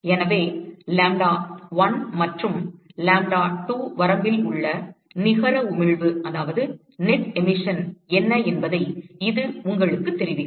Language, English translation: Tamil, So, that will tell you what is the net emission in the range lambda1 and lambda2